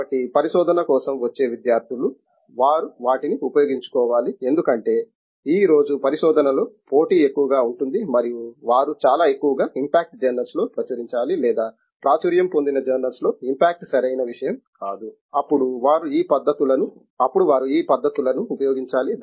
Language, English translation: Telugu, So, therefore, the students who come for research, but they have to use them because if they have to be competitive in research today and publish in very high impact journals or impact is not a correct thing, in high journals then they have to be using these techniques